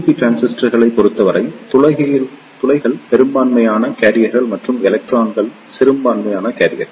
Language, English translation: Tamil, In case of PNP transistors, holes are the majority carriers and electrons are the minority carriers